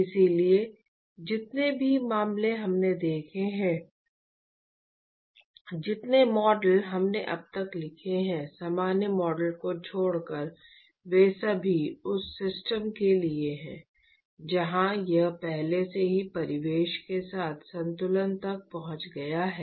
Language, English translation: Hindi, So, all the cases that we have seen, all the models that we have written so far, except for the general model that we wrote, they are all for system where the where it has already reached an equilibrium with the surroundings